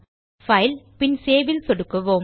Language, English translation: Tamil, Click on FilegtSave